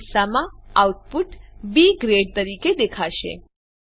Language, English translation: Gujarati, In this case, the output will be displayed as B Grade